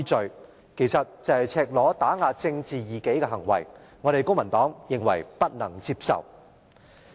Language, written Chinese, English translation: Cantonese, 這其實是赤裸裸打壓政治異己的行為，公民黨認為不能接受。, This is actually a blatant attempt to suppress a political dissident which the Civic Party finds unacceptable